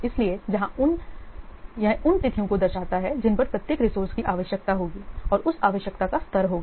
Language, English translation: Hindi, So this resource schedule will show the dates on which the different types of the resources will be required, the level of that requirement